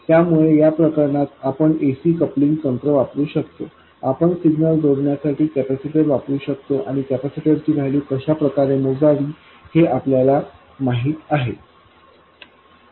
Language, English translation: Marathi, So, in this case we can use AC coupling techniques, we can use a capacitor to couple the signal and we know how to calculate the value of the capacitor